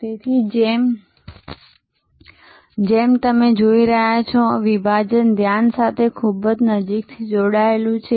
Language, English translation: Gujarati, So, as you see therefore, segmentation is very closely link with focus